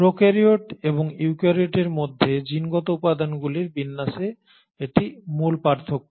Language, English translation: Bengali, So this is the basic difference between the arrangement of genetic material between prokaryotes and eukaryotes